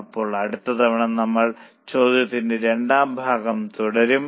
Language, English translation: Malayalam, So, next time we will continue with the second part of the question